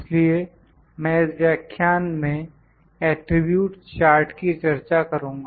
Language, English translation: Hindi, So, I will discuss the attribute charts in this lecture